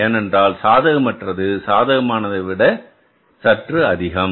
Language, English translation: Tamil, Because unfavorable is more than the favorable